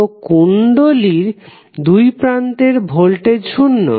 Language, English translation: Bengali, So, voltage across inductor would be zero